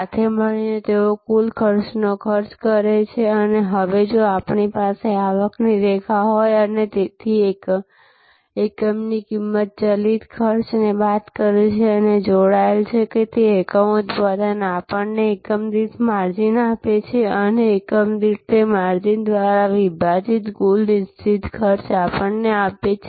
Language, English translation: Gujarati, Together they cost the total cost, now if we have a revenue line and so the unit cost minus the variable cost, which is linked that unit production gives us the margin per unit and the total fixed cost divided by that margin per unit gives us the break even volume or the break even sales